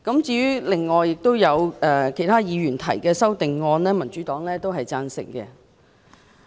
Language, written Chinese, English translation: Cantonese, 至於其他議員提出的修正案，民主黨都是贊同的。, As for the other amendments proposed by other Members the Democratic Party also supports them